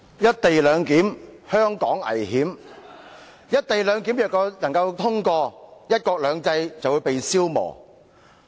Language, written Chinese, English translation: Cantonese, "'一地兩檢'，香港危險"，如"一地兩檢"獲通過，"一國兩制"便會被消磨掉。, Co - location arrangement will only expose Hong Kong to the danger and one country two systems will be no more once the co - location arrangement is given green light